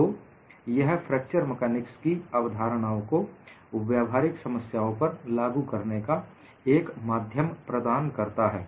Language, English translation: Hindi, So, it provides a via media to apply fracture mechanics concepts to practical problems